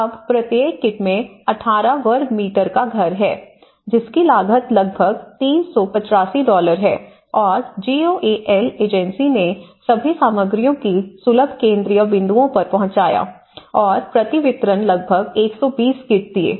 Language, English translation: Hindi, So, now each kit has 18 square meter house, which is costing about 385 dollars and what they did was the GOAL agency have trucked all the materials to accessible central points, delivering about 120 kits per distribution